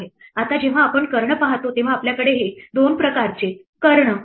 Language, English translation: Marathi, Now when we look at the diagonals we have these two types of diagonals